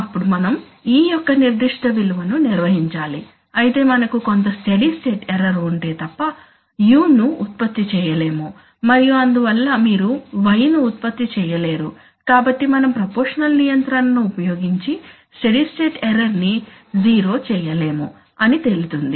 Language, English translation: Telugu, Then we have to maintain a particular value of e, so unless we have a certain amount of steady state error, we cannot generate U and therefore which you cannot generate y so we cannot make steady state error 0 ever, using proportional control, that is what it turns out to be